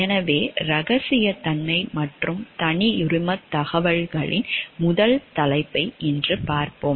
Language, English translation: Tamil, So, let us look into the first topic of confidentiality and proprietary information today